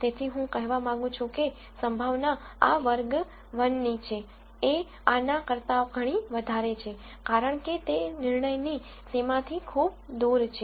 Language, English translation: Gujarati, So, I would like to say that the probability that this belongs to class 1 is much higher than this, because it is far away from the decision boundary